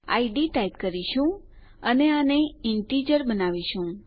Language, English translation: Gujarati, We type id and we will make this an integer